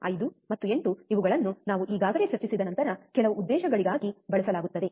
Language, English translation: Kannada, 1 5 and 8, that are used for some other purposes which we have already discussed